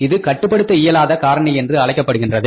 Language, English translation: Tamil, It means it is a uncontrollable factor